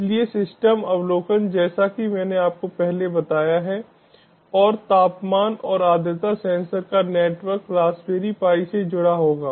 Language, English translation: Hindi, so the system overview is as i have told you previously and network of temperature and humidity sensors will be connected to raspberry pi